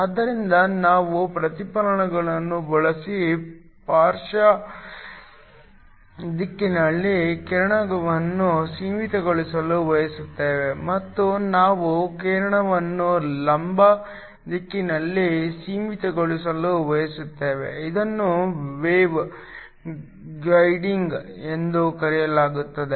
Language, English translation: Kannada, So, We want to confine the beam in the lateral direction done by using reflectors and we also want to confine the beam in the vertical direction this is called Wave guiding